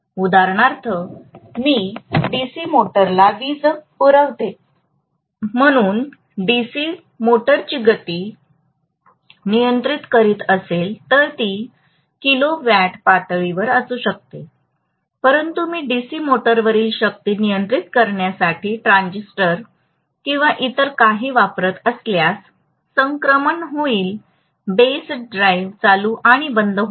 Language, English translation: Marathi, What am supplying as power to the DC motor may be at kilowatt level but if I am using a transistor or something to control the power to the DC motor, the transition will be turned on and off with the base drive